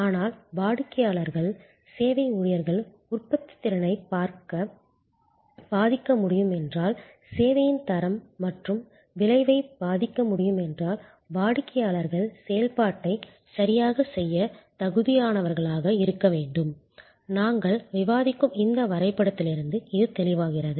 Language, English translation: Tamil, But, if the customers therefore, as service employees can influence the productivity, can influence the service quality and outcome, then customers must be made competent to do the function properly and that is quite clear from our this diagram as we have discussing